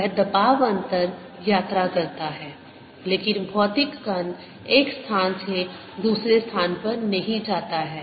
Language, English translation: Hindi, that pressure difference travels, but the material particle does not go from one place to the other